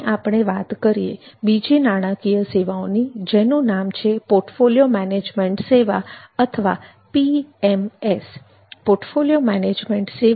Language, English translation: Gujarati, next we come to another type of financial services that is portfolio management service or PMS insurance